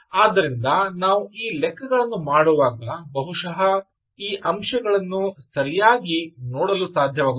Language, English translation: Kannada, so when we do these exercises will perhaps be able to have a look at it right